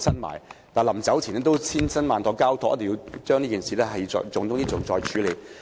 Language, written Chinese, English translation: Cantonese, 他去世前曾千辛萬苦交託，一定要將這件事作為重中之重來處理。, At his deathbed he painstakingly asked others to take up the work as a matter of top priority